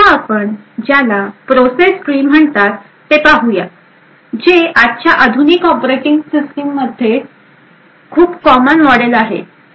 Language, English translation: Marathi, Now we will also look at something known as the process tree, which is again a very common model for most modern day operating system